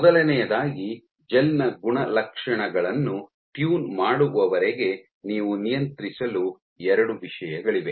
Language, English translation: Kannada, So, first of all so far as the tuning the properties of the gel is concerned you have two things to control